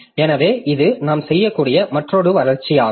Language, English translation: Tamil, So, that is another augmentation that we can do